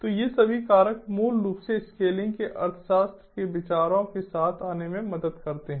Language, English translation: Hindi, all these factors basically help in coming up with ideas of economics of scaling